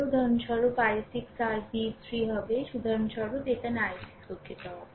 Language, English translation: Bengali, For example, i 6 will be your v 3 for example, here i 6 will be ah sorry ah sorry